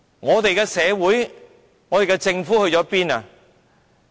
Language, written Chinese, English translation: Cantonese, 我們的社會和政府在哪裏？, How come our society and our Government are not helping?